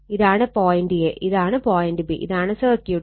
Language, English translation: Malayalam, This is the point A, and this is the point B, and this is the circuit